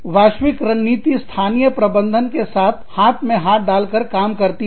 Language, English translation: Hindi, Global strategy works, hand in hand, with the local management